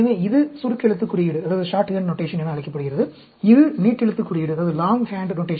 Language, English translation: Tamil, So, this is called the shorthand notation and this is the longhand notation